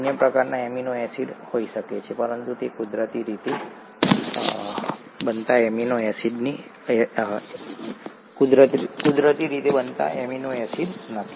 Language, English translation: Gujarati, There could be other types of amino acids, but they are not naturally occurring amino acids